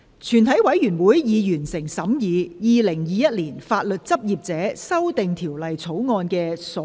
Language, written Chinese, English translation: Cantonese, 全體委員會已完成審議《2021年法律執業者條例草案》的所有程序。, All the proceedings on the Legal Practitioners Amendment Bill 2021 have been concluded in committee of the whole Council